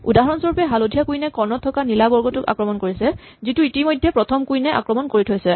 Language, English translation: Assamese, For instance the yellow queen attacks the blue square on the diagonal which was already attacked by the first queen